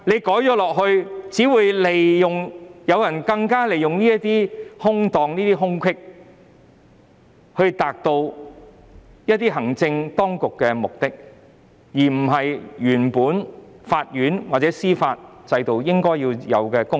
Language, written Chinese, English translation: Cantonese, 在作出修訂後，有心人只會利用當中的空子，以達到行政當局的目的，令法院或司法制度無法發揮應有功能。, The amendments if made will only enable those with ulterior motives to manipulate the loopholes therein to achieve the executives objective of barring the court or the judicial system from discharging their due functions